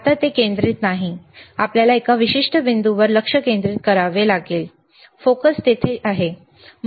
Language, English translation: Marathi, Now it is not focused, you have to focus certain point so, focus is there ok